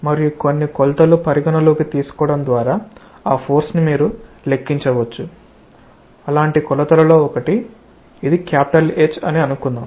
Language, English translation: Telugu, And that force you may calculate by considering some dimensions, one of the dimensions say this is H